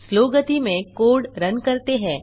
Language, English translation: Hindi, Lets Run the code in slow speed